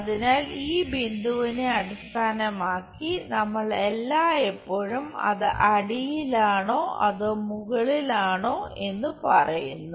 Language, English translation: Malayalam, So, with respect to this point we always say whether it is at bottom or with a top